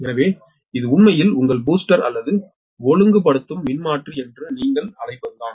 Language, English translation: Tamil, right, so this is actually your, what you call that ah, your booster or regulating transformer